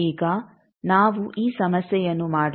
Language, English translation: Kannada, Now let us do this problem